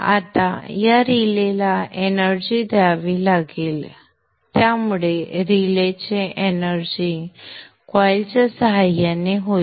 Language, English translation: Marathi, So, energization of the relay will be by means of a coil